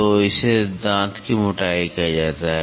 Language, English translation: Hindi, So, that is called as a tooth thickness